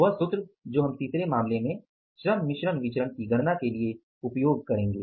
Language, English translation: Hindi, That formula will be using for calculating the labor mix variance in the third case